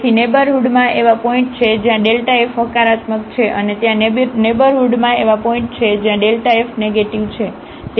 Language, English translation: Gujarati, So, there are points in the neighborhood where the delta f is positive and there are points in the neighborhood where this delta f is negative